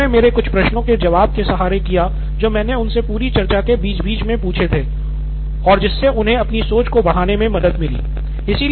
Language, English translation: Hindi, They did it with some of my questions I asked in between, so that helped them structure their thinking as well